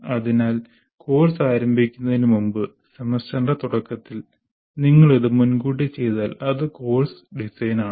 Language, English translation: Malayalam, So all this, if you do in advance before the starting the course in the beginning of the semester, that doing all this is course design